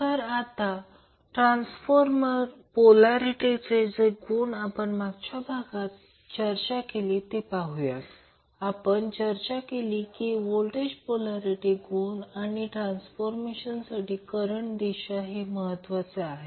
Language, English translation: Marathi, So, let us see, the transformer polarity which we discuss in the last class, we discuss that it is important to get the polarity of the voltage and the direction of the current for the transformer